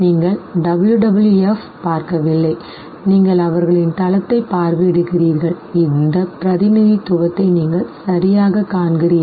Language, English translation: Tamil, You see WWF, you know, you visit their site and you see exactly this very representation